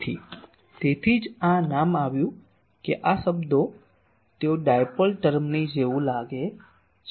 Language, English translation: Gujarati, So, that is why this name came that this terms they look like the dipole term